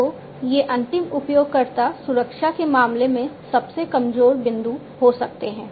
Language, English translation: Hindi, So, these end users can be the vulnerable points in terms of security